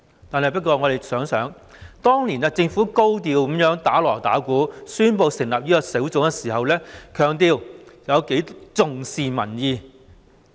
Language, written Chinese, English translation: Cantonese, 可是，大家想一想，當年政府高調地"打鑼打鼓"，宣布成立專責小組，並強調十分重視民意。, However please consider this Back then the Government announced the establishment of the Task Force in high profile and with great fanfare stressing the great importance attached to public opinion